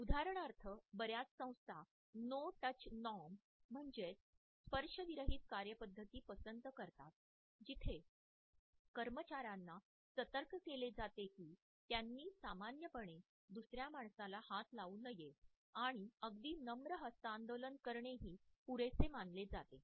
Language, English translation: Marathi, For example, many institutions prefer a ‘no touch norm’ where employees are alerted to this idea that they should not normally touch another human being and even a polite handshake is considered to be enough